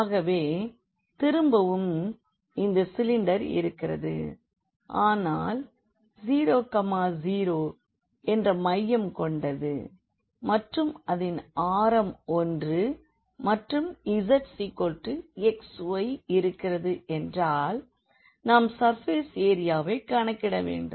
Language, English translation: Tamil, So, again we have the cylinder, but it is it is a cylinder with center 0 0 and radius 1 and we have this z is equal to x y we want to get the surface area